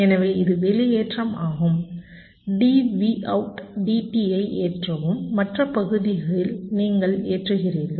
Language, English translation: Tamil, so this is discharging, c load dv out, d t, and in the other part you are charging